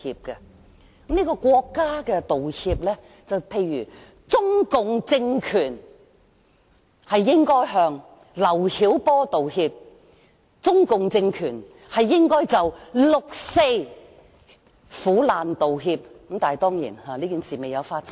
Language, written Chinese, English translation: Cantonese, 舉例而言，由國家作出的道歉，可以是中共政權向劉曉波道歉及就六四苦難道歉等——但當然，此等事情並未發生。, Speaking of state apologies one possible example can even be an apology made by the Chinese communist regime to LIU Xiaobo and those who suffered in the 4 June Incident . But of course there have never been any such apologies